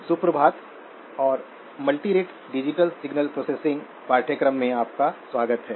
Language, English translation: Hindi, Good morning and welcome to the course on multirate digital signal processing